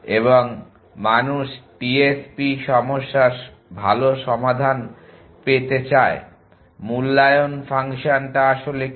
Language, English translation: Bengali, And people would like to good get good solutions of TSP problem what about the valuation function